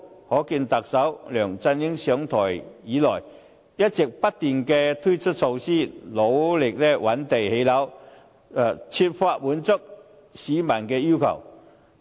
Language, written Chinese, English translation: Cantonese, 可見特首梁振英上台以來，一直不斷推出措施，努力覓地建屋，設法滿足市民的需求。, It is evident that since taking office LEUNG Chun - ying has been introducing measures and working hard to identify land for housing production in order to strive to satisfy the publics needs